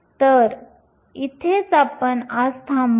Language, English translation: Marathi, So, this is where we will stop for today